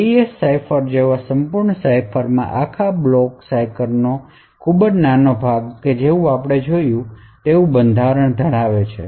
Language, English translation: Gujarati, So, in a complete cipher such as an AES cipher a very small part of this entire block cipher is having a structure as we have seen before